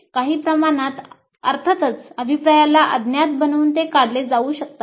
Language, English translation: Marathi, To some extent of course this can be eliminated by making the feedback anonymous, we will see